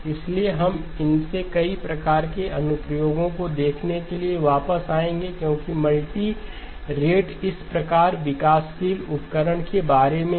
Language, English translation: Hindi, So we will come back to looking at several of these type of applications because multirate is all about developing tools of this type